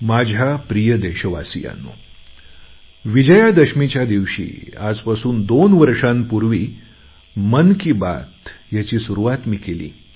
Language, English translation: Marathi, My dear countrymen, I had started 'Mann Ki Baat' on Vijayadashmi two years ago